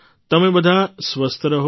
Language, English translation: Gujarati, And you stay healthy